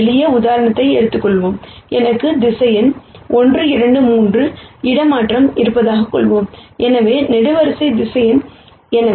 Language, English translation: Tamil, Let us take a very simple example, let us say I have vector 1 2 3 transpose; so, column vector